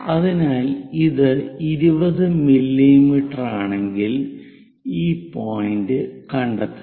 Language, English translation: Malayalam, So, if it is 20 mm, locate this point